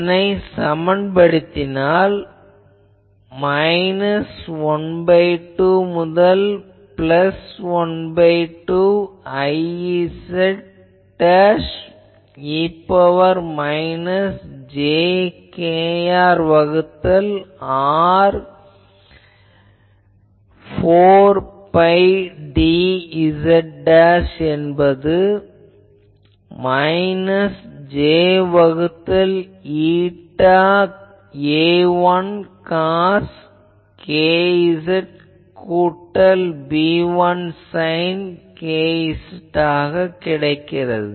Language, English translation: Tamil, So, this one I can put the thing minus l by 2 to plus l by 2 I z dashed e to the power minus j k R by R 4 pi d z dashed is equal to minus j by eta A 1 cos k z plus B 1 sin k z ok